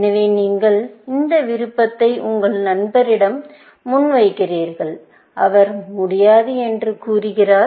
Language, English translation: Tamil, So, you present this option to your friend, and he or she says, no